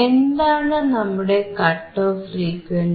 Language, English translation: Malayalam, What is our cut off frequency